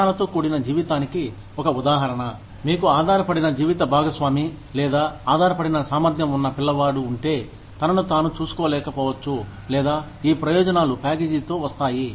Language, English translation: Telugu, One example of a survivor benefit, that if you have a dependent spouse, or a dependent differently abled child, who may not be able to look after himself, or herself, then these benefits come with the package